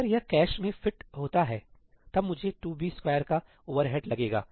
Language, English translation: Hindi, If it fits into the cache, then I only incur an overhead of 2 b square